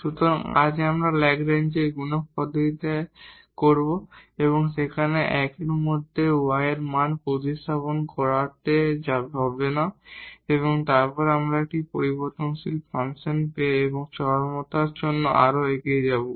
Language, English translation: Bengali, So, today we will have this method of Lagrange multiplier where we do not have to substitute the value of y in this one and then getting a function of 1 variable and proceeding further for extrema